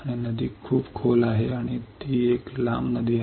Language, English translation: Marathi, And the river is very deep and it is a long river